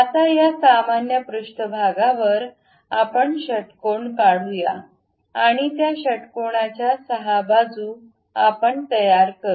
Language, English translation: Marathi, Now, on this normal to surface we draw a hexagon, a hexagon 6 sides we will construct it